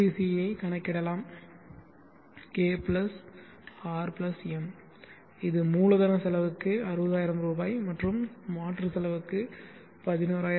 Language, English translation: Tamil, Now LCC can be calculated K + R + M which is 60000 for capital cost + 11566